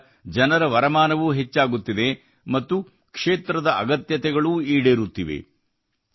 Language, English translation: Kannada, On account of this the income of the people is also increasing, and the needs of the region are also being fulfilled